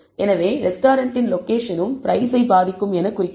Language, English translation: Tamil, So, location of the restaurant also would indicate, would have a effect on, the price